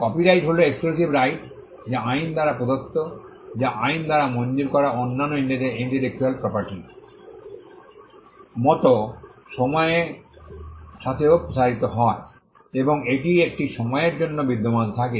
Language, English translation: Bengali, The copyright is an exclusive right which is given by the law which extends to a period of time, like any other intellectual property right that is granted by the law and it exist for a period of time